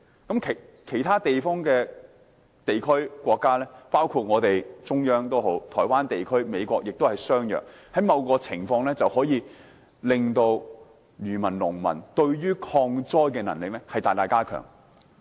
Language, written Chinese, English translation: Cantonese, 至於其他地區及國家，包括中國、台灣地區或美國，情況也相若，某程度上大大加強漁民及農民的抗災能力。, As for other regions and countries including China Taiwan region and the United States the arrangement is similar . Such an arrangement will greatly strengthen the resilience of fishermen and farmers in coping with natural disasters